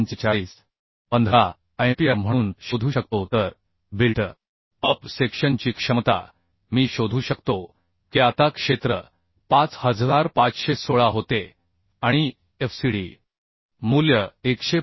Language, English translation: Marathi, 15 MPa So capacity of the built up section the actual capacity I can find out now the area was 5516 and the fcd value was 145